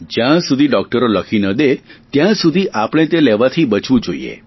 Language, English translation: Gujarati, Avoid it till a doctor gives you a prescription